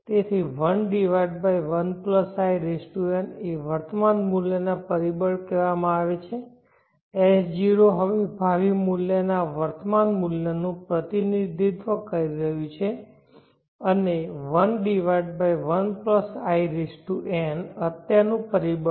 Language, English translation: Gujarati, So 1/1+In is called the present worth factor S0 is now representing the present worth of the future value SM and 1/1+In is present worth factor